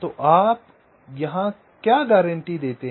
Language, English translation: Hindi, so what do you guarantee here